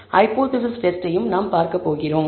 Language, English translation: Tamil, We are also going to look at hypothesis testing